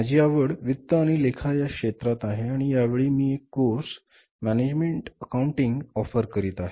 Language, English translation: Marathi, My area of interest is finance and accounting and this time I am offering a course management accounting